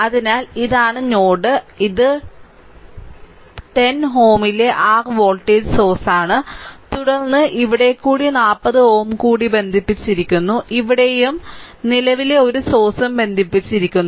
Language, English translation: Malayalam, So, this is the node ah this is your voltage source at 10 ohm, then across here also another 40 ohm is connected, right and here also same thing a current source is also connected a current source it is also 3 ampere